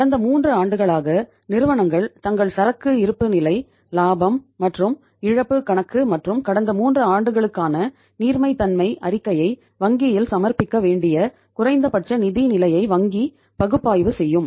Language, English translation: Tamil, Bank will analyze their financial position for the minimum for the past 3 years for which the companies are required to submit the their balance sheet, profit and loss account, and cash flow statement for the period of past 3 years to the bank